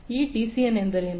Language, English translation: Kannada, What is this DCN